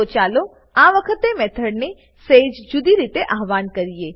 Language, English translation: Gujarati, So, let us invoke the method a little differently this time